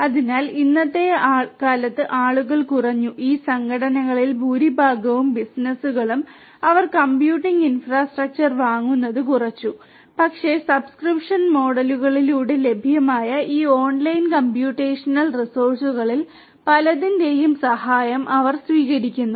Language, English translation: Malayalam, So nowadays people are have reduced, most of these organizations, the businesses; they have reduced buying the computing infrastructure, but are taking help of many of these online computational resources that are available through subscription models